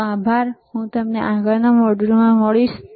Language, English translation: Gujarati, Thank you and I will see you in the next module